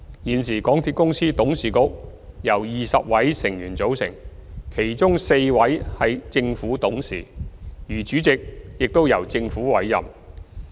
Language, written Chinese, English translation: Cantonese, 現時港鐵公司董事局由20位成員組成，當中4位為政府董事，而主席亦由政府委任。, At present the Board of MTRCL consists of 20 members of which four are Government Directors . The Chairman is also appointed by the Government